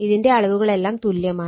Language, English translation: Malayalam, These are all magnitudes the same